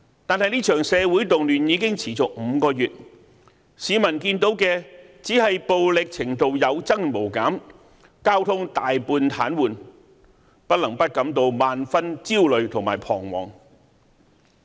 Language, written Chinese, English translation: Cantonese, 但是，這場社會動亂已持續5個月，市民看到的只是暴力程度有增無減，交通大半癱瘓，不能不感到萬分焦慮和彷徨。, Nevertheless the social unrest has been going on for five months and what the public have seen is the escalation of violence the near paralysis of the transport system . People cannot help but feel extremely anxious and helpless